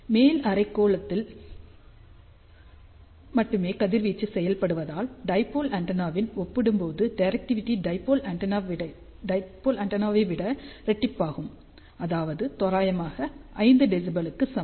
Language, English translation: Tamil, And since power is now radiated in half portion compared to a dipole antenna that is why directivity is double of dipole antenna, which is approximately equal to 5 db